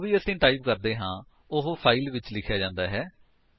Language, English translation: Punjabi, Whatever we type would be written into the file so type some text